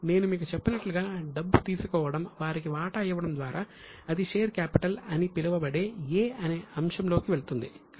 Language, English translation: Telugu, As I told you one simple way is take money, give them share, then it will go in item A, that is known as share capital